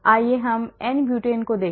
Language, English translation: Hindi, Let us look at n Butane